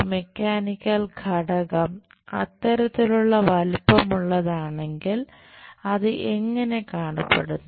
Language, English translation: Malayalam, If a mechanical component is of that kind of size, how it looks like